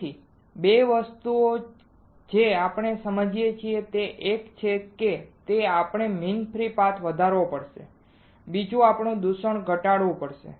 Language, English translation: Gujarati, So, 2 things that we understood is one is we have to increase the mean free path second is we have to reduce the contamination